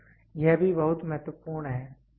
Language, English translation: Hindi, So, this is also very important